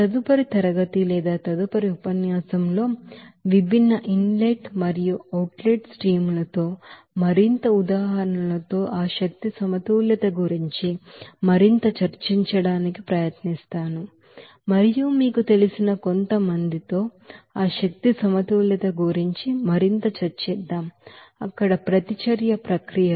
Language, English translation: Telugu, In the next class we will try to discuss more about that energy balance with more example there with different inlet and outlet streams and also we will discuss something more about that energy balance with some you know, reaction processes there